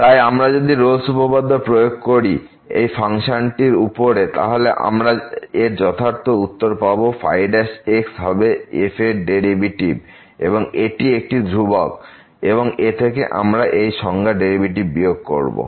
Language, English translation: Bengali, So, if we apply the Rolle’s theorem now, to the function then we will get exactly the result which is given here because the will be the derivative of and then this is a constant here minus again this expression and the derivative of